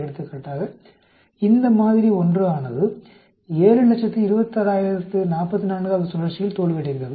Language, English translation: Tamil, For example, this sample 1 failed at 726,044 th cycle